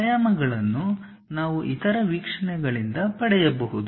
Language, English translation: Kannada, The remaining dimensions we can get it from the other views